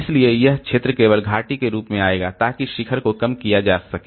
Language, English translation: Hindi, So, this region will come as a value only that peak can be reduced